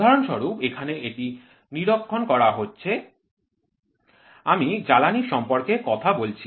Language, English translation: Bengali, For example here this is monitoring I was talking to you about fuel